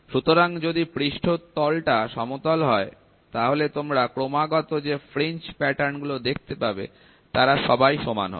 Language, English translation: Bengali, So, if the surface is flat, you can see the fringe patterns continuously are the same